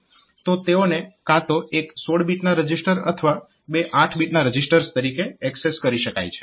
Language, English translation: Gujarati, So, they can be accessed either as 16 bit registers or two eight bit registers